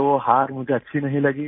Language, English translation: Hindi, I didn't like the defeat